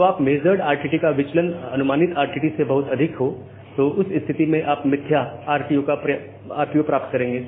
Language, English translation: Hindi, So, if your RTT has a measured RTT has too much deviation from the estimated RTT, then you will get the spurious RTO